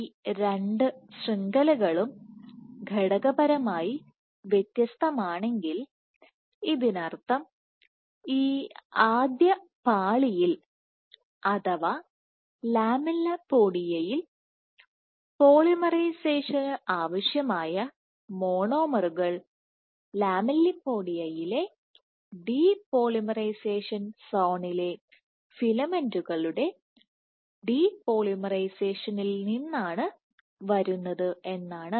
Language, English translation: Malayalam, So, what this means if these two networks are materially distinct which means that within this first layer or the lamellipodia the monomers required for polymerization are coming from the depolymerization of the filaments in that depolymerization zone within the lamellipodia